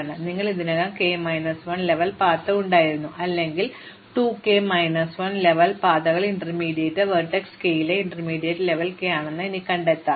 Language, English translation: Malayalam, And then, you keep updating the kth level path by either saying that there was already k minus 1 level path or I can find 2 k minus 1 level path via an intermediate level k in intermediate vertex k